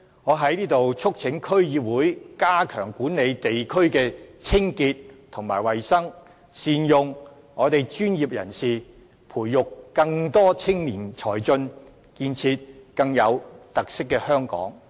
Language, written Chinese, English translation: Cantonese, 我在這裏促請區議會加強管理地區的清潔及衞生，善用專業人士，培育更多青年才俊，建設更有特色的香港。, I wish to call on all District Councils to step up control on the hygiene and cleanliness of their respective districts make full use of professionals nurturing more young talent and build a more distinctive Hong Kong